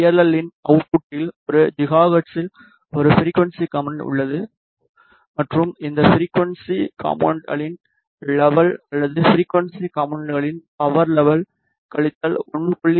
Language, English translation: Tamil, So, the at the output of this PLL we have a frequency component at one gigahertz and the level of this frequency component or the power level of this frequency component is minus 1